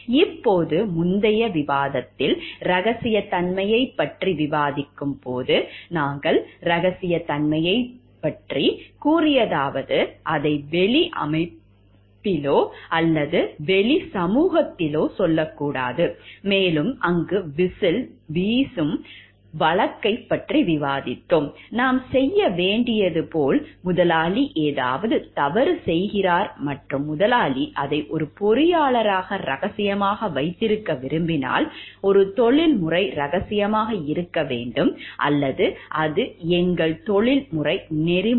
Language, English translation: Tamil, Now, in the earlier discussion while discussing about the confidentiality issues, we have discussed about confidentiality and going to keep like, not to tell it to the outside organization or outside society, and we have discussed the case of whistle blowing over there; like we should, if the employer is doing something wrong and the employer wants that to be kept secret as an engineer, as a professional should be keep secret or it is our professional ethics